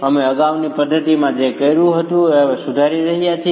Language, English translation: Gujarati, We are correcting what we did in the previous method itself